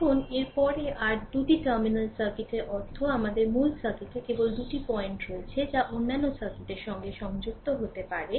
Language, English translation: Bengali, Now, next is that your by two terminal circuit we mean that the original circuit has only two point that can be connected to other circuits right